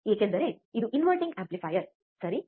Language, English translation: Kannada, Because this is the inverting amplifier, alright